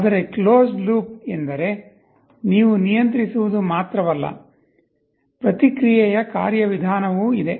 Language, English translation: Kannada, But closed loop means that not only you are controlling, there is also a feedback mechanism